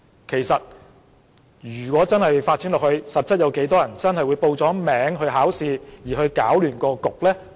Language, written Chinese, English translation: Cantonese, 其實，事情發展下去，有多少市民真的會報名考試而又搗亂試場呢？, Indeed in the normal course of events how many people will truly enter for the examination and cause disturbances in the examination venues?